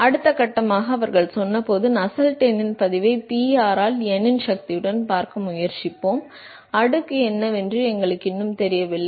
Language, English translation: Tamil, When the next stage was they said, let us try to look at log of Nusselt number by Pr to the power of n, we still do not know what the exponent is